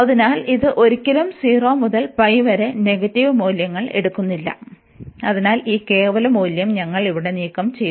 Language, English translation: Malayalam, So, this never takes negative values in 0 to pi, therefore we have remove this absolute value here